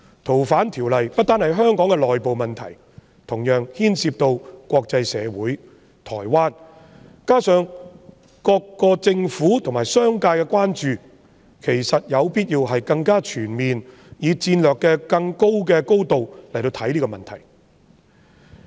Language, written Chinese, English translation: Cantonese, 《逃犯條例》不單是香港的內部問題，同時牽涉到國際社會和台灣，加上各地政府和商界的關注，其實有必要更全面地，以更高的戰略高度來看待這個問題。, FOO is not only an internal issue of Hong Kong but it also involves the international community and Taiwan . Added to this the concern of the governments and business sectors of various places it is in fact necessary to consider this issue more comprehensively and from a higher strategic level